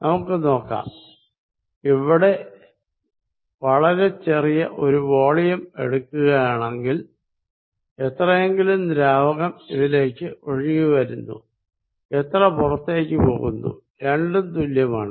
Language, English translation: Malayalam, So, let us see if I take a volume small volume here, if whatever that fluid is coming in whatever is leaving is equal